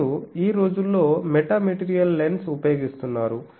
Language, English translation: Telugu, And so this is a people are nowadays using metamaterial lens